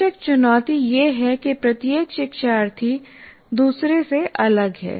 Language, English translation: Hindi, Of course the challenge is each learner is different from the other